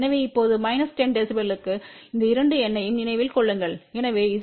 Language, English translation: Tamil, So, now, for minus 10 db just remember these two number , so Z o e is 69